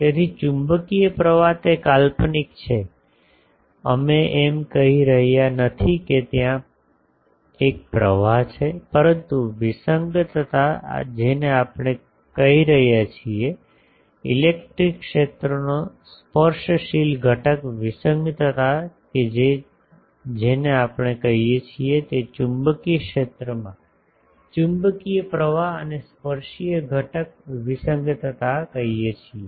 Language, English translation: Gujarati, So, magnetic current it is hypothetical we are not saying there is a flow, but discontinuity we are calling, tangential component discontinuity of the electric field that we are calling magnetic current and tangential component discontinuity in the magnetic field that we are calling